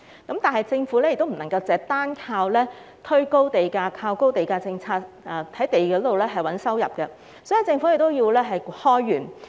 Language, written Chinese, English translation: Cantonese, 同時，政府不能夠單靠推高地價，在土地上賺取收入，所以政府需要開源。, At the same time as the Government cannot rely solely on pushing up the prices of the sites to generate revenue from land sales it thus needs to increase revenue